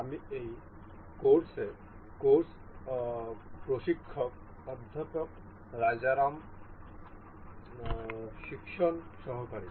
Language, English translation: Bengali, I am the teaching assistant to the course instructor Professor Rajaram in this course